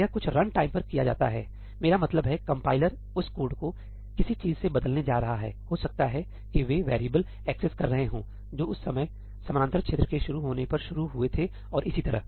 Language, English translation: Hindi, That is something done at runtime; I mean, the compiler is going to replace that code with something, that may be accessing variables that were initialized at the time the parallel region started and so on